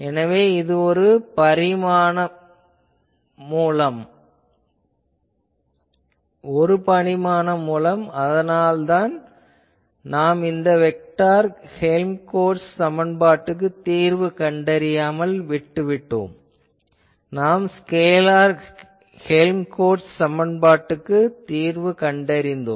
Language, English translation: Tamil, So, it was a one dimensional source that is why we got away without solving the vector Helmholtz equation, we actually solved the scalar Helmholtz equation